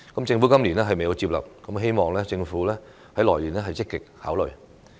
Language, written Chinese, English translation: Cantonese, 政府今年未有接納，希望政府明年會積極考慮。, The Government did not accept the advice this year but I hope it will give actively consideration next year